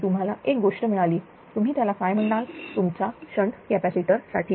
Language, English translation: Marathi, This is one thing for the your what you call for the shunt capacitors